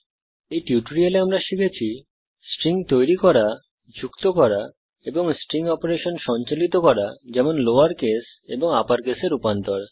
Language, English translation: Bengali, In this tutorial, you will learn how to create strings, add strings and perform basic string operations like converting to lower case and upper case